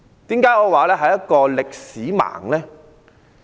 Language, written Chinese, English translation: Cantonese, 為何我說他是"歷史盲"呢？, Why do I say he is a history illiterate?